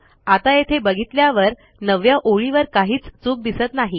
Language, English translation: Marathi, Now looking at that, there is nothing wrong with line 9